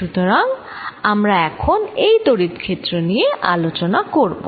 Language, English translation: Bengali, So, what we are going to now talk about is the electric field